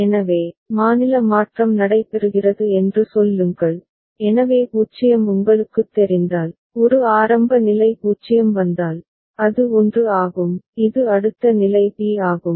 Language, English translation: Tamil, So, say state change is taking place, so 0 if a comes you know, if a is the initial state 0 comes, it is a 1 it is b next state is b